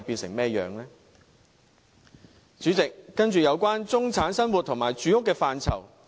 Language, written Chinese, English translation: Cantonese, 代理主席，接着是有關中產生活和住屋的範疇。, Deputy President I will then talk about issues relating to the daily life and housing in relation to the middle class